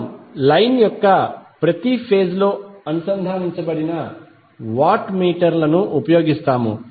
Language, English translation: Telugu, We will use the watt meters connected in each phase of the line